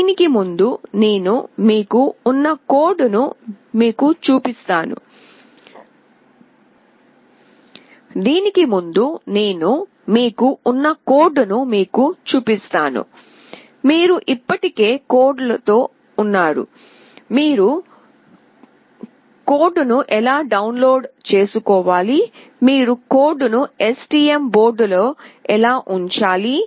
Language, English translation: Telugu, Prior to that I will just show you the code that is there for this one, you already come across with the codes, how you have to download the code, how you have to put the code into the STM board